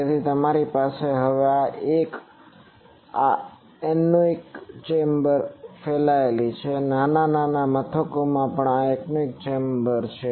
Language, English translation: Gujarati, So, you can have this now one is these anechoic chambers are proliferated various small establishments also have this anechoic chambers